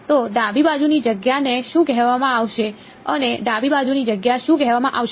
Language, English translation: Gujarati, So, the left hand side space is what would be called, what would be called the this the space on the left hand side